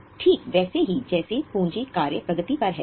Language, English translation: Hindi, That's why it is shown as a capital work in progress